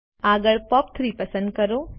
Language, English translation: Gujarati, Next, select POP3